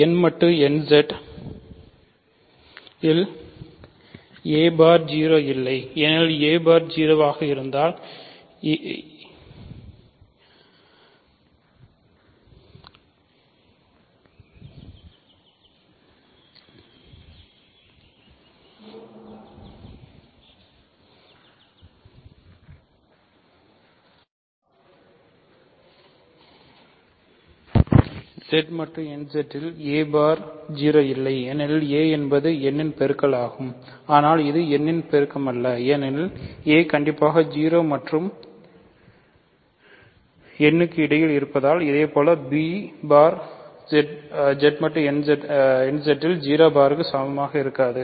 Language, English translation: Tamil, So, if a bar is 0, that means, a is a multiple of n, but similarly, but a is not a multiple of n because a is strictly between 0 and n similarly b bar is not equal to 0 bar in Z mod nZ